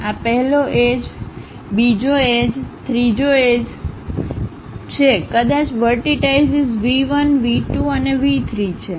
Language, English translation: Gujarati, This is the 1st edge, 2nd edge, 3rd edge maybe the vertices are V 1, V 2 and V 3